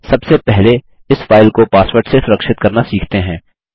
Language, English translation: Hindi, First let us learn to password protect this file